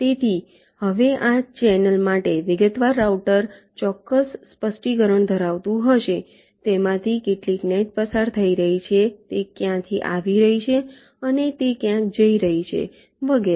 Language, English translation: Gujarati, so now detailed router will be having the exact specification for this channel: how many nets are going through it, from where it is coming from, when it is going and so on